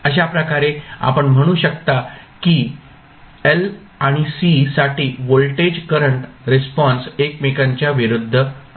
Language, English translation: Marathi, So, in that way you can say that voltage current response for l and c are opposite to each other